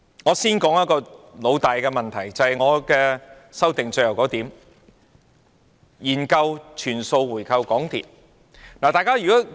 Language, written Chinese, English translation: Cantonese, 我先談一個老大的問題，便是我修正案的最後一點：研究全數回購港鐵。, I will first talk about a major chronic issue which is the last point of my amendment conducting a study on buying back all the remaining shares of MTRCL